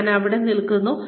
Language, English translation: Malayalam, Where do I stand